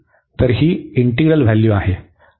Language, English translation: Marathi, So, that is the value of the integral